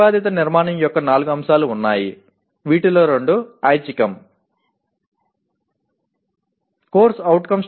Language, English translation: Telugu, There are four elements of the proposed structure of which two are optional